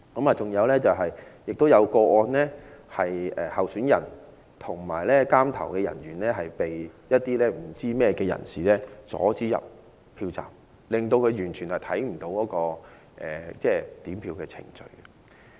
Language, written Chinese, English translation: Cantonese, 還有一個個案是，候選人和監察點票的人被不知明人士阻止進入票站，令他們不能監察點票程序。, In another case the candidate and the counting agent were barred from entering the polling station by some unknown people . Hence they could not monitor the vote counting process